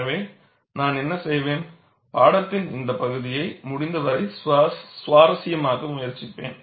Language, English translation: Tamil, So, what I will do is, I will try to make, this part of the course as interesting as possible